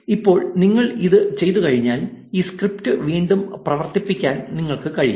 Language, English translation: Malayalam, Now, let us try to run this script again